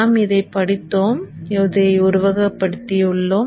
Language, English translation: Tamil, We have studied this and we have also simulated this